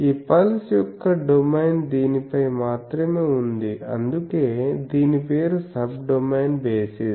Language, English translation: Telugu, So, domain of this pulse is existing only over this, that is why it is a name Subdomain basis